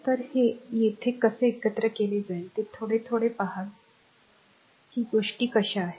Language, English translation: Marathi, So, how we will combine this here we will little bit little bit you just see how things are right